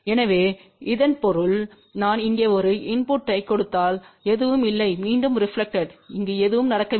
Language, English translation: Tamil, So that means, if I am giving a input here nothing is reflected back and nothing is going over here